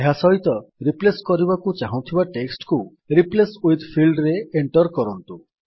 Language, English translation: Odia, Enter the text that you want to replace this with in the Replace with field